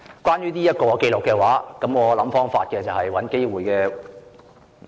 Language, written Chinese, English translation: Cantonese, 關於這份紀錄，我會想方法或找機會......, As for this record I will think of a way or seek an opportunity to I wonder who should eat it